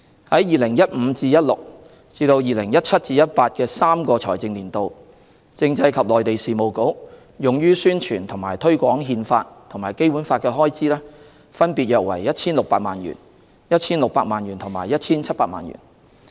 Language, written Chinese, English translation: Cantonese, 在 2015-2016 至 2017-2018 的3個財政年度，政制及內地事務局用於宣傳及推廣《憲法》及《基本法》的開支，分別約 1,600 萬元、1,600 萬元和 1,700 萬元。, For the three financial years from 2015 - 2016 to 2017 - 2018 the Constitutional and Mainland Affairs Bureau spent about 16 million 16 million and 17 million respectively for promoting the Constitution and the Basic Law